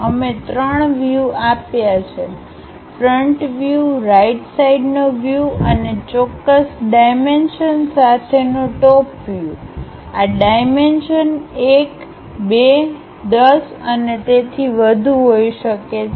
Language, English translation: Gujarati, We have given three views, the front view, the right side view and the top view with certain dimensions these dimensions can be 1, 2, 10 and so on